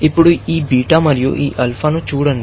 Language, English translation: Telugu, Now, look at this beta and this alpha